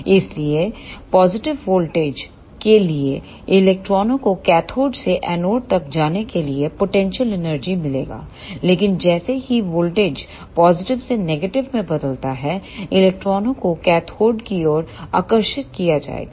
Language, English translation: Hindi, So, for positive voltages, the electrons will get potential energy to move from cathode to anode, but as voltage changes from positive to negative, the electrons will be attracted towards the cathode